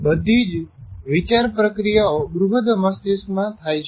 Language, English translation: Gujarati, All the thinking processes take place in the cerebral